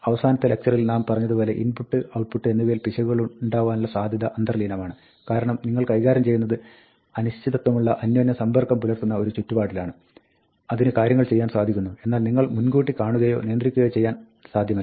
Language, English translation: Malayalam, As we said in the last lecture, input and output is inherently error prone, because, you are dealing with an uncertain, interacting environment, which can do things, which you cannot anticipate or control